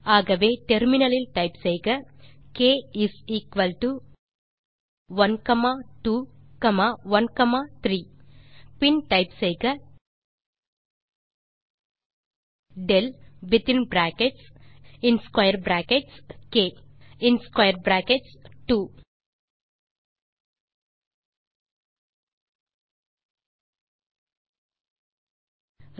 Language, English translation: Tamil, So type on the terminal k is equal to 1,2 ,1,3 and then type del within brackets and square brackets k then square brackets 2